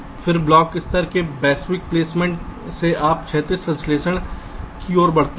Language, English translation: Hindi, then from block level global placement you move to physical synthesis